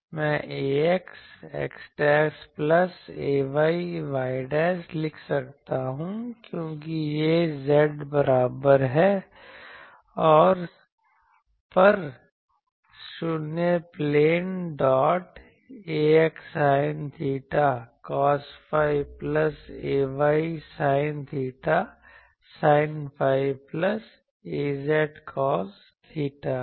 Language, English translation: Hindi, Then, r dash cos phi will become r dashed I can write ax x dashed plus ay y dashed because it is at z is equal to 0 plane dot a x sine theta cos phi plus a y sine theta sine phi plus a z cos theta